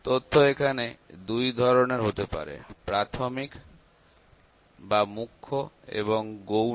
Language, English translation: Bengali, The data can be of two types here; the data can be primary or secondary